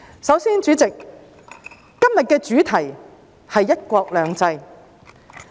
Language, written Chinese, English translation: Cantonese, 首先，主席，今天的主題是"一國兩制"。, First of all President todays subject matter is one country two systems